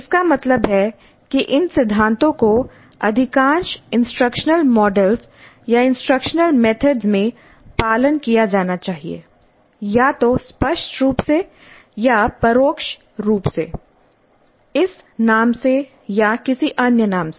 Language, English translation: Hindi, That means that these principles must be the ones followed in most of the instructional models or instructional methods either explicitly or implicitly by this name or by some other name